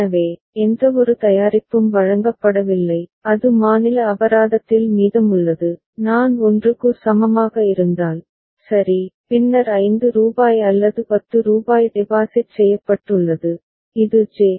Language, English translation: Tamil, So, no product is delivered and it is remaining at state c fine and if I is equal to 1, right, then either rupees 5 or rupees 10 has been deposited which depends on J